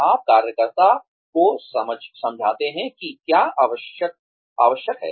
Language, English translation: Hindi, You explain to the worker, what is required